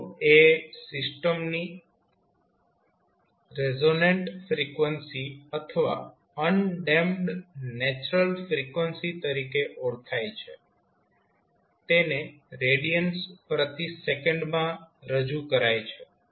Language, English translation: Gujarati, Well, omega not is known as the resonant frequency or undamped natural frequency of the system which is expressed in radians per second